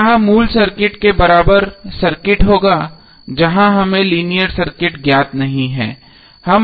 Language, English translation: Hindi, So this would be the equivalent circuit of your the original circuit where the linear circuit is not known to us